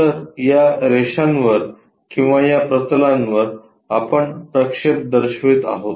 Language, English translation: Marathi, So, on these lines or on these planes we are going to show the projections